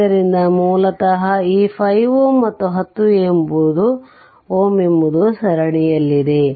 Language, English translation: Kannada, So, basically what happen this 5 and 10 ohm are in series